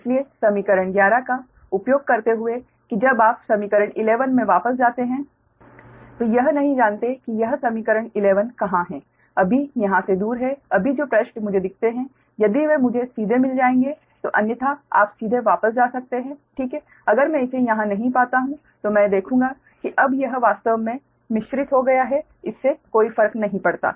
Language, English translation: Hindi, so using equation eleven, that when you go back to the equation eleven i I dont know where it is go on, equation eleven is for away from here, now, right, which suggest: right, if we see if i will get it otherwise directly you can go back, right, ah, ah, just for not, if i find it here, i will see that now it has mixed up, actually doesnt matter